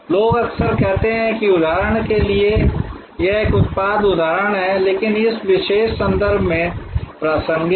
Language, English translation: Hindi, People often say that for example, it is a product example, but relevant in this particular context